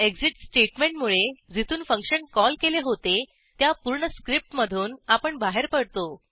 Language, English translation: Marathi, The return statement will return to the script from where it was called